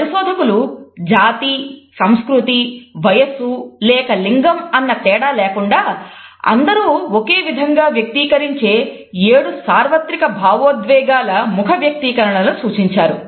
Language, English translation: Telugu, Scientists have documented seven universal facial expressions of emotion that are expressed similarly by all people regardless of race, culture, age or gender